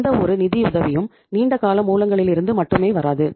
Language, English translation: Tamil, No funding will come from the long term sources only